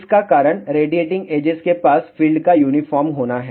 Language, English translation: Hindi, The reason for that is along the radiating edges field is uniform